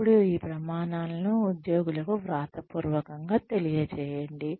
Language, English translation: Telugu, Then, communicate these standards, to the employees in writing, preferably